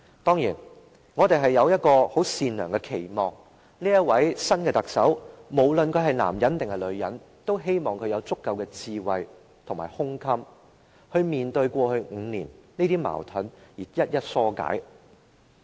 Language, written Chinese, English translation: Cantonese, 當然，我們有一個很善良的期望，無論這位新任特首是男還是女，我們也希望他/她會有足夠的智慧及胸襟面對過去5年的矛盾，並一一化解。, We certainly have a benign expectation . We hope that the new Chief Executive male or female will be wise and magnanimous enough to address the conflicts of the past five years and resolve them one by one